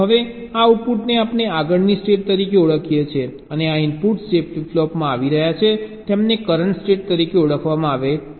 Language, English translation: Gujarati, now these outputs we refer to as the next state, and these inputs that are coming from the flip flop, they are referred to as the present state